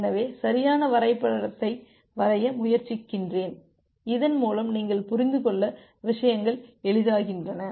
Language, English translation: Tamil, So, ideally let me try to draw a proper diagram so that the things become easier for you to understand